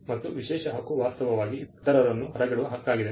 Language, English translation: Kannada, The exclusive right is actually a right to exclude others